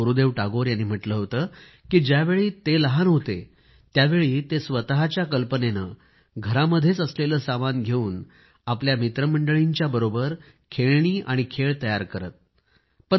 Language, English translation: Marathi, Gurudev Tagore had said that during his childhood, he used to make his own toys and games with his friends, with materials available at home, using his own imagination